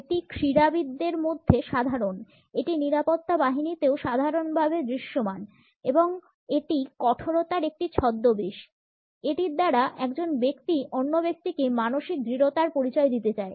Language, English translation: Bengali, It is common in sports people, it is also commonly visible in security forces and it is an impersonation of the toughness; the person wants to convey a mental toughness to the other person